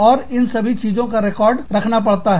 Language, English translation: Hindi, And, all of this, has to be documented